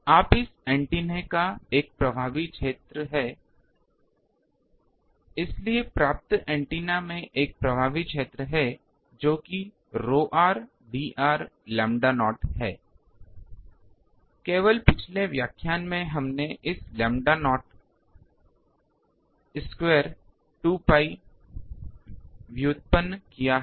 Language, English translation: Hindi, Now, this antenna has an effective area, so the receiving antenna has an effective area that is rho r D r lambda not just in the last lecture we have derived this lambda not square 2 pi